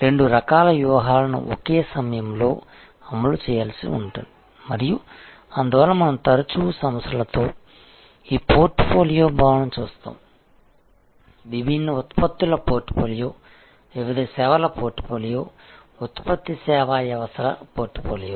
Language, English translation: Telugu, Both types of strategies may have to be executed at the same time and that is why we often see in organizations, that there is this concept of portfolio, portfolio of different products, portfolio of different services, portfolio of product service systems